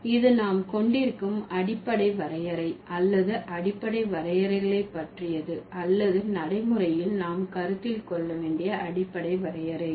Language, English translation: Tamil, So, that's about the basic definition or the basic definitions that we might have or we should consider as far as pragmatics is concerned